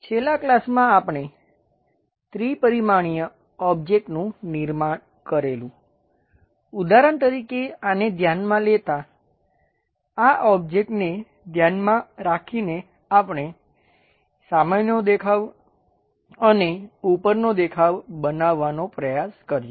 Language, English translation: Gujarati, In the last class we have constructed a three dimensional object; for example, taking this one taking this object we tried to construct front view and top view